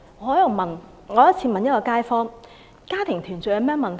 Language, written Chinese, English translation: Cantonese, 我有一次問一位街坊，家庭團聚有何問題？, I once asked a kaifong if he thought family reunion was wrong